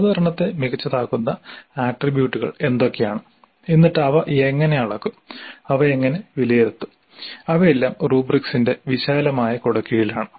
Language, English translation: Malayalam, Now what are all those attributes which make the presentation good and then how do we measure those, how do we evaluate those things, they all come and the broad and a half rubrics